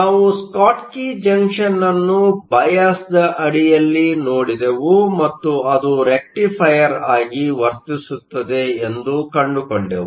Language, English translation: Kannada, We also looked at the Schottky junction under bias and found that it behaves as a rectifier